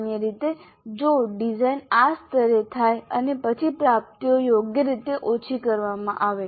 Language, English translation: Gujarati, So, typically the design happens at this level and then the attainments are scaled down suitably